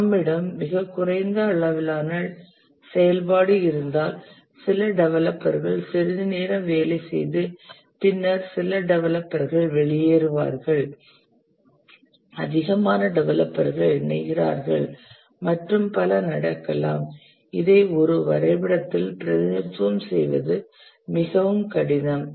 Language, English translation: Tamil, Even if we have the lowest level activity, some developers work for some time and then some developers leave, more developers join and so on, it becomes very difficult to represent in a diagram